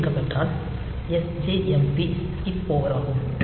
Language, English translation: Tamil, 6, so the led is turned on then it is sjmp skip over